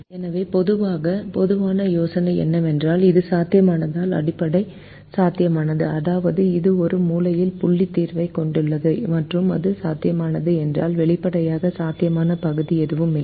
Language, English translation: Tamil, so the general idea is if it is feasible, then it is basic feasible, which means it has a corner point solution, and if it infeasible, then obviously there is no feasible region